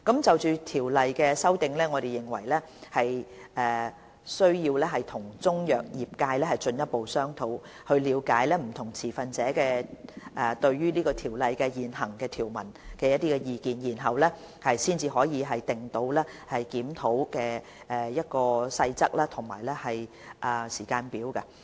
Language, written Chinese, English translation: Cantonese, 就《條例》作出的修訂，我們認為需要和中藥業界進一步商討，以了解不同持份者對《條例》現行條文的意見，才可訂定檢討《條例》的細節和時間表。, Regarding the amendments to CMO there is a need for us to hold further discussions with the Chinese medicine industry to find out more about the views of various stakeholders on the existing provisions of CMO before formulating the details and timetable for conducting the review